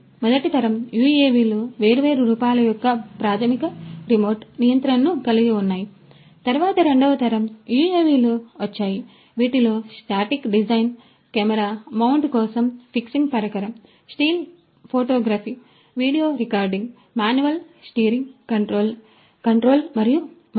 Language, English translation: Telugu, So, first generation UAVs had fundamental remote control of different forms, then came the second generation UAVs which had a static design, a fixing device for camera mounting for taking still photography, video recording, manual steering control and so on